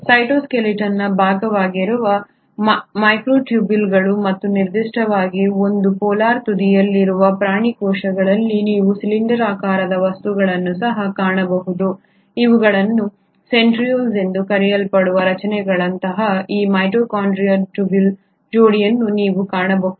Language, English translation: Kannada, You also find the cylindrical objects which is the part of the cytoskeleton which is the microtubules and particularly in the animal cells at one polar end you find a pair of these microtubule like structures which are called as the Centrioles